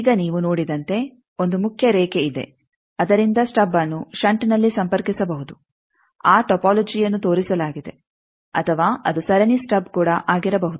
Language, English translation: Kannada, Now, as you see that there is a main line from that the stub can be connected either in shunt that topology is shown or it can be a series stub also